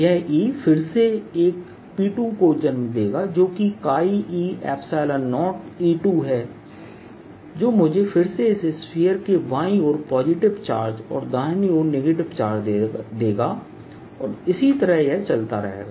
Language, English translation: Hindi, this mu again will give rise to a p two which is chi e, epsilon zero, some e two, which in turn will give me positive charges on the left hand side of this sphere and negative charge on the right hand side, and so on